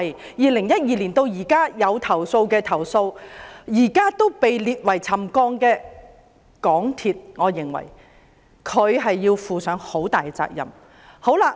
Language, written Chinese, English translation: Cantonese, 由2012年至今作出了投訴而現時被列為沉降的個案，我認為港鐵公司要負上很大的責任。, I think MTRCL should be held largely responsible for the complaints made since 2012 which are classified as settlement cases